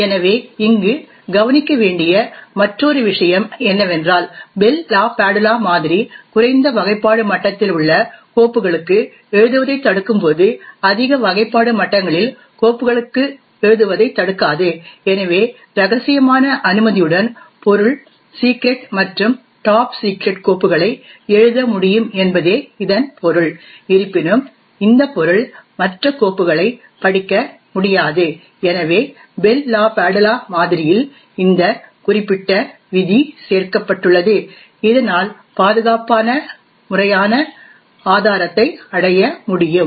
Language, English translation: Tamil, while the Bell LaPadula model prevents writing to files which are at a lower classification level, it does not prevent writing to files at higher classification levels, so this means at subject with a clearance of confidential can write files which are secret and top secret, however this subject will not be able to read the other files, so this particular rule in the Bell LaPadula model is added so as to achieve a formal proof of security